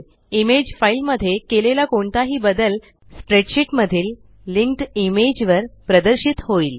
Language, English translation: Marathi, Any changes made to the image file, Will be reflected in the linked image In the spreadsheet